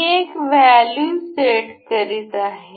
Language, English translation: Marathi, I am setting a value